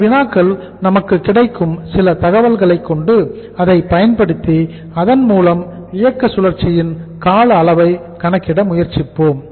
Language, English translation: Tamil, And these problems the some information which is available with us, we will use this information and by using this information we will try to calculate the duration of operating cycle